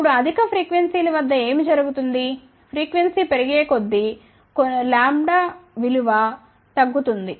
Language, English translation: Telugu, Now, what happens at higher frequencies as frequency increases then lambda will start decreasing